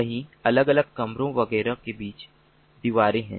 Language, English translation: Hindi, there are walls between different rooms, etcetera, etcetera